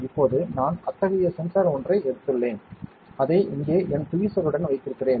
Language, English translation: Tamil, Now, I have taken one such sensor and I am holding it with my tweezer here